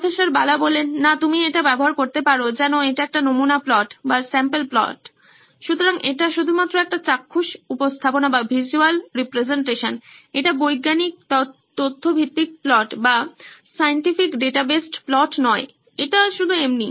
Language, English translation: Bengali, No, you can use this as if it’s a sample plot, so it’s just a visual representation, it’s not a scientific data based plot, so this is just